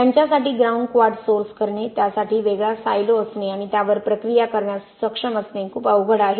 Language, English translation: Marathi, It is very difficult for them to source grounds quartz, have a different silo for that and be able to process it